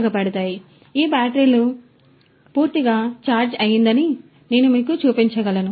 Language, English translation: Telugu, So, these batteries so, I can show you that this battery is fully charged